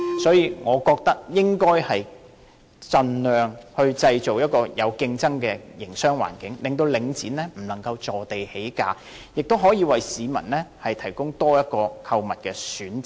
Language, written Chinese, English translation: Cantonese, 因此，我覺得應該盡量製造一個有競爭的營商環境，令領展不能坐地起價，也可以為市民提供多一個購物選擇。, Therefore I think we should create a competitive business environment by all means to restrain Link REIT from increasing the prices arbitrarily and this can in turn provide the public with an another choice of shopping